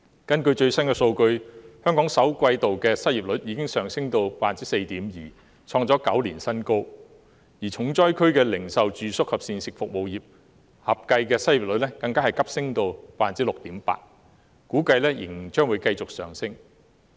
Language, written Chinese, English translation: Cantonese, 根據最新的數據，香港首季度的失業率已經上升至 4.5%， 創下9年新高；而零售、住宿及膳食服務業等重災區合計的失業率更急升至 6.8%， 並估計仍然會繼續上升。, The chance of a V - shaped rebound in the local economy is slim . According to the latest figures Hong Kongs unemployment rate in the first quarter has risen to 4.5 % hitting a record high in nine years . The aggregate unemployment rate in stricken areas such as retail accommodation and food services sectors has surged to 6.8 % and it is estimated that the upward trend will continue